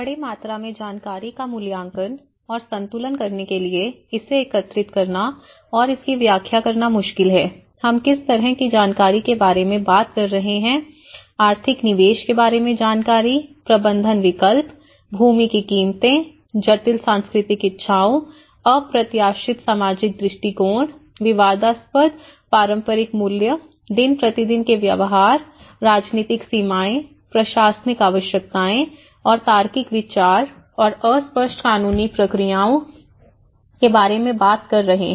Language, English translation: Hindi, To evaluate and balance great amounts of information, that is difficult to obtain and to interpret and what kind of information we are talking, the information about economic investment, the management options, land prices, complex cultural desires, unexpected social attitudes, controversial traditional values, day to day behaviours, political limitations, administrative needs, and logistical considerations and fuzzy legal procedures